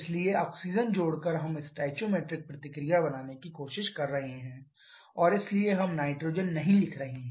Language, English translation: Hindi, So, +O2 we are trying to form the stoichiometric reaction and therefore we are not writing nitrogen